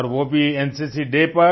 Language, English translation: Hindi, So let's talk about NCC today